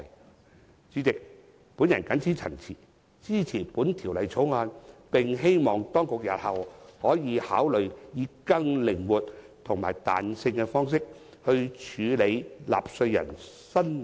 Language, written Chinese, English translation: Cantonese, 代理主席，我謹此陳辭，支持《條例草案》，並希望當局日後可以考慮以更靈活及具彈性的方式，處理納稅人申領免稅額的安排。, With these remarks Deputy President I support the Bill . I hope that the authorities will consider handling taxpayers applications for allowances in a more flexible and discretionary manner